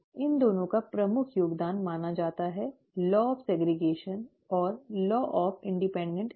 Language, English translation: Hindi, These two are supposed to be major contributions; the ‘law of segregation’ and the ‘law of independent assortment’